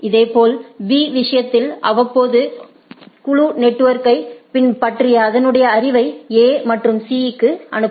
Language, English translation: Tamil, Similarly, in case of B periodically send my knowledge about the whole network to A and C